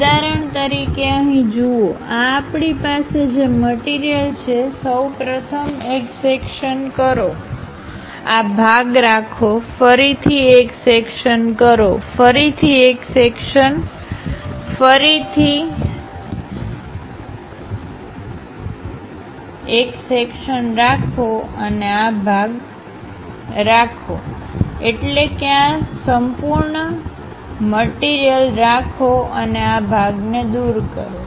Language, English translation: Gujarati, For example, here look at it, this is the object what we have; first of all have a section, retain this part, again have a section, again have a section, again have a section, again have a section and keep this part, that means keep this entire thing and remove this part